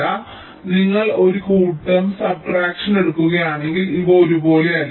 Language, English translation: Malayalam, so if you take a set subtraction, these are not the same